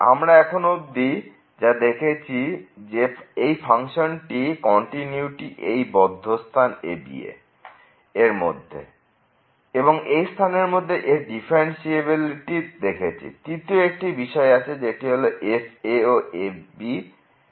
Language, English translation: Bengali, So, what we have seen that this continuity of the function in the close interval [a, b] and the differentiability in the open interval (a, b) and there was a third condition that is equal to